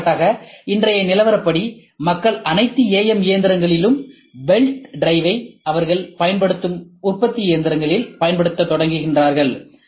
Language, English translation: Tamil, For example, as of today people start using belt drive for in all AM machines into manufacturing machines they use